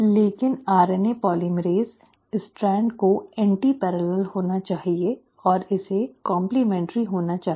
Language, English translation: Hindi, But the RNA polymerase, the strand has to be antiparallel, and it has to be complementary